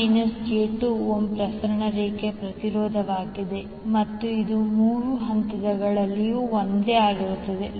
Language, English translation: Kannada, 5 minus j2 ohm is the impedance of the transmission line and it is the same in all the three phases